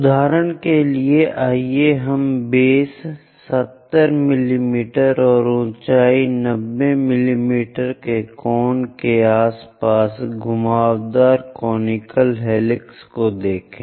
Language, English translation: Hindi, For example, let us look at a conical helix winded around a cone of base 70 mm and height 90 mm